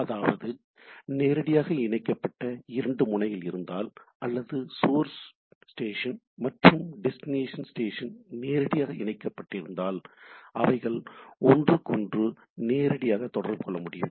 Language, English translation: Tamil, That means, if I have two nodes connected directly or two station, if we consider the station, that source station and destination directly connected then they can communicate to each other directly